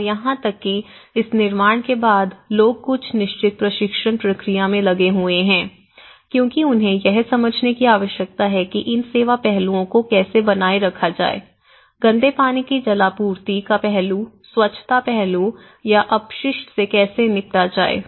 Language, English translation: Hindi, And even, after this construction, people have been engaged in certain training process because they need to get into understanding how to maintain these service aspect, how to maintain the greywater take off or the water supply aspect, the sanitation aspect or the waste disposal